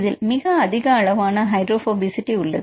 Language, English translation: Tamil, There also you have high hydrophobicity